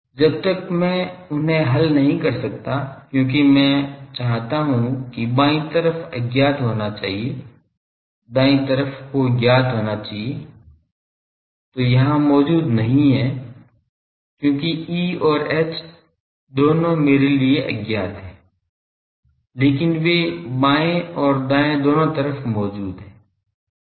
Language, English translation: Hindi, Unless and until I cannot solve them because, I want that the left side should be unknowns, right side should be known that is not here present because both E and H they are unknown to me, but they are present both in the left hand side and right hand side